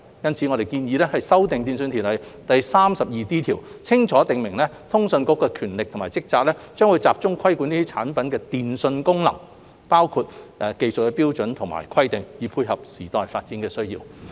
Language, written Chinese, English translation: Cantonese, 因此，我們建議修訂《電訊條例》第 32D 條，清楚訂明通訊事務管理局的權力及職責將集中規管這些產品的電訊功能，包括技術標準和規格，以配合時代發展的需要。, For this reason we propose to amend section 32D of TO to clearly provide that the powers and duties of the Communications Authority CA will focus on regulating the telecommunications functions of these products including technical standards and specifications so as to meet the needs of the times